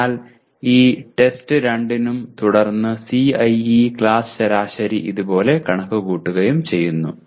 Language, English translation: Malayalam, So for this test 2 as well and then CIE class average is computed like this